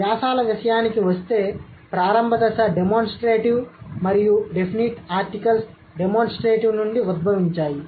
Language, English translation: Telugu, As far as the articles are concerned, the initial stages are demonstratives and the definite articles are derived from the demonstratives